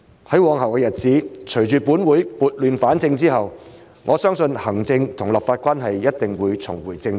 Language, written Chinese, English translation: Cantonese, 在往後的日子，隨着本會撥亂反正，我相信行政與立法關係一定會重回正軌。, In the days to come as this Council brings order out of chaos I believe that the executive - legislative relationship will surely get back onto the right track